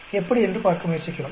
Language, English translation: Tamil, We are trying to look at how